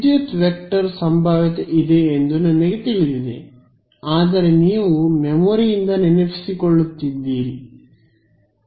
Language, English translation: Kannada, I know there is a electric vector potential, but you are recalling from memory recalls from logic